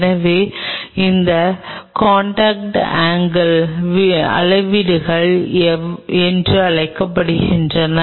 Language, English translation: Tamil, So, that is called contact angle measurements